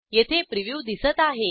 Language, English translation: Marathi, Here we can see the Preview